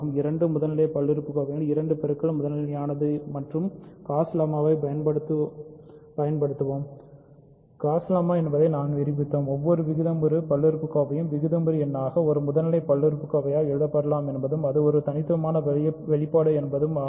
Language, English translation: Tamil, We proved that Gauss lemma which says that two product of two primitive polynomials is primitive and using the Gauss lemma, our important observation is that every rational polynomial can be written as rational number times a primitive polynomial and that is a unique expression